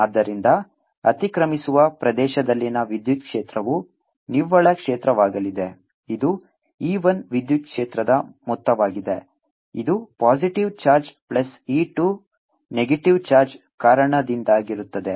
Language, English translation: Kannada, so a electric field in the overlapping region is going to be net field, is going to be e, which is sum of electric field, e one which is due to the positive charge, plus e two which is due to the negative charge